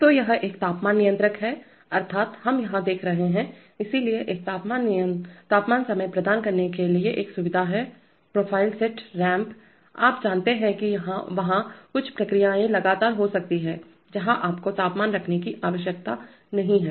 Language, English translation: Hindi, So this is a temperature controller that is, that, we are seeing here, so there is a facility to provide a temperature time profile set point ramp, you know there are, there could be certain processes where you do not need to keep the temperature constant